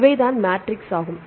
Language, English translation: Tamil, Now, these are matrices